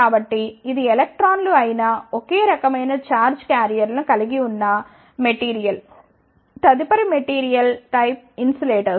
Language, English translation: Telugu, So, this is a materials which has only one type of charge carriers that are electrons the next type of material is insulator